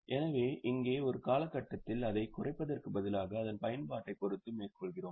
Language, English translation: Tamil, So, here instead of reducing it over a period, we are going by its utilization